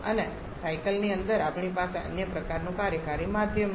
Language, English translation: Gujarati, And inside the cycle we are having some other kind of working medium